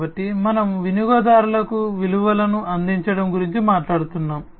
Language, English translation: Telugu, So, value proposition we are talking about offering values to the customers